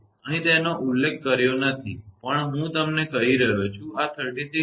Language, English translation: Gujarati, Here it is not mentioned, but I am telling you; this is 36